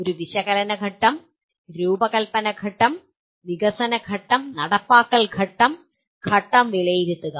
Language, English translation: Malayalam, A analysis phase, design phase, development phase, implement phase, and evaluate phase